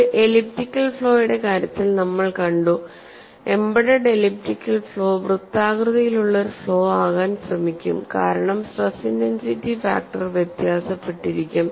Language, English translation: Malayalam, We saw in the case of an elliptical flaw, the elliptical flaw which is embedded would try to become a circular flaw, because that is how the stress intensity factors were very